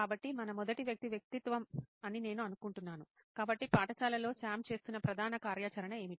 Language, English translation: Telugu, So we have I think our first persona, so in school what would be the core activity that Sam would be doing